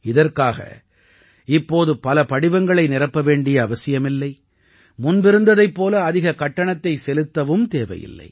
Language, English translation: Tamil, With this, you will neither have to be entangled in the web of multiple forms anymore, nor will you have to pay as much fees as before